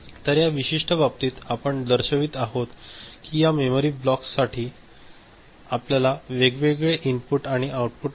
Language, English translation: Marathi, So, in this particular case what we are showing that for this memory block we have got separate input and output